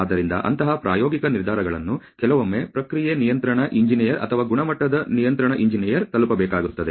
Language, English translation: Kannada, So, such practical decisions have to be arrived at sometimes by a process control engineer or a quality control engineer